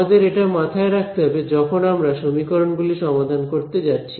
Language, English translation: Bengali, So, this is the we should keep in mind as we go towards solving these equation ok